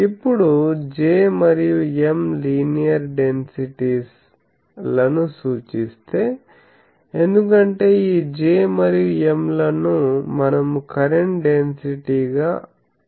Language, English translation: Telugu, Now, if J and M represent linear densities because these J and M we assume current density